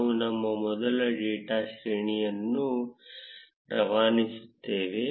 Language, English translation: Kannada, We will pass our first data array